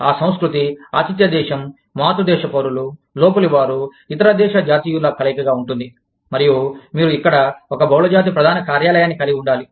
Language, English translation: Telugu, The culture, will be a mix of, host country, of parent country nationals, of Inpatriates, of the other country nationals And, you will have to have, a multinational headquarter, here